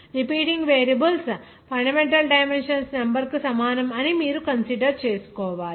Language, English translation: Telugu, You have to consider that repeating variables will be the number of fundamental dimensions